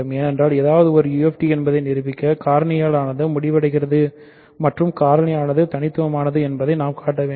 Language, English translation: Tamil, Because to prove that something is a UFD, we need to show that factoring terminates and factoring is unique